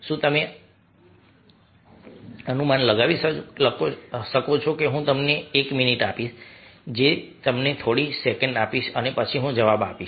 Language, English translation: Gujarati, i will give you a minute, i will give you a few seconds and then i will give the answer